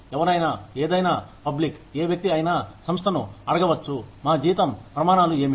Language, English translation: Telugu, Anyone, any public, any person, can ask the organization, what our salary scales are